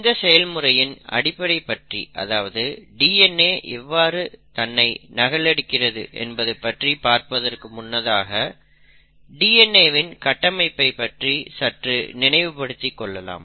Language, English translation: Tamil, Now, before I get into the nitty gritties of exactly how DNA copies itself, it is important to know and refresh our memory about the DNA structure